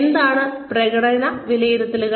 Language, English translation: Malayalam, What is performance appraisal